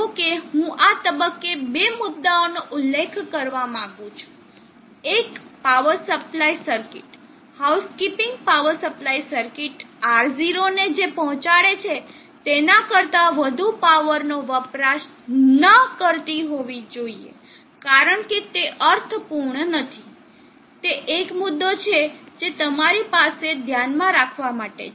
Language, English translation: Gujarati, However, I would like to at this point mention two points, one is the power supply circuit, the housekeeping power supply circuit should not consume more power than what is being deliver to R0 because it does not meaningful, that is one point that you have to keep in mind